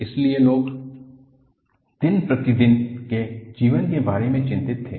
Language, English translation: Hindi, So, people were worried with day to day living